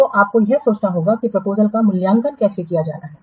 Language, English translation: Hindi, So, you have to think how are the proposals to be evaluated